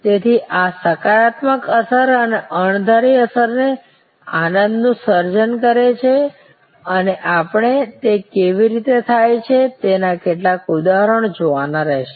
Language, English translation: Gujarati, So, this positive affect and unexpected affect that creates the joy and we will have to look at some examples of how that happens